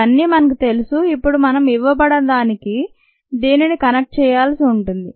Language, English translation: Telugu, all this we know and now we need to connect what is needed to what is given